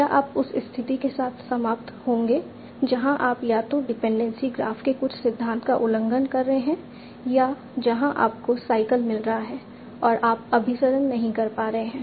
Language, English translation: Hindi, Would you end up with a situation where you are either violating some principle of the dependency graph or where you are getting a cycle and you are not able to converge